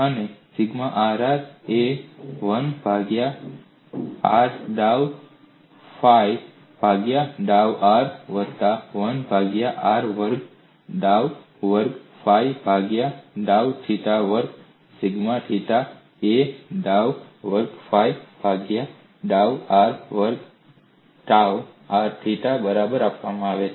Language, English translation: Gujarati, And sigma rr is given as 1 by r dou phi by dou r plus 1 by r square, dou squared phi by dou theta square sigma theta theta as dou square phi by dou r square tau r theta equal to minus dou by dou r of 1 by r dou phi by dou theta